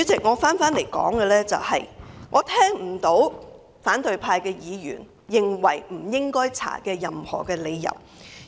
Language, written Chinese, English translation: Cantonese, 我不能認同反對派議員所提出不應該調查的任何理由。, I cannot subscribe to the reason raised by Members from the opposition camp for not conducting any investigation